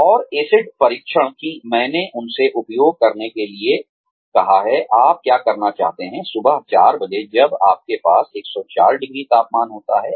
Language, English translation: Hindi, And, the acid test, that I asked them to use is, what would you like to do, at 4 o'clock in the morning, when you have 104 degrees temperature